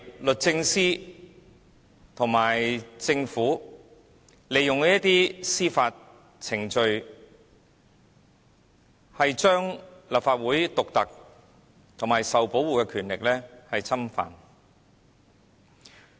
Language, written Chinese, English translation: Cantonese, 律政司和政府是利用司法程序，侵犯立法會獨特而受到保護的權力。, The Department of Justice and the Government are using judicial procedures to encroach on the unique and protected powers of the Legislative Council